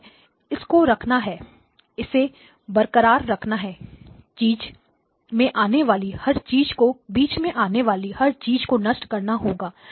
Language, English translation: Hindi, So this has to be kept; this has to be retained; everything in between has to be killed, right